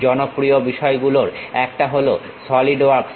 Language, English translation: Bengali, One of the popular thing is Solidworks